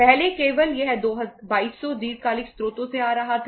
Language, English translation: Hindi, Earlier only this 2200 was coming from the long term sources